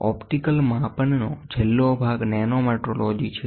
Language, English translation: Gujarati, The last part of the optical measurements is nanometrology